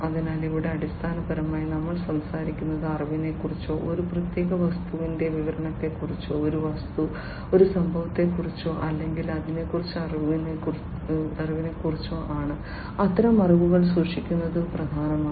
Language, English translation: Malayalam, So, here basically we are talking about the knowledge, the description of a certain thing, an object an event or something alike the knowledge about it; storing such kind of knowledge is important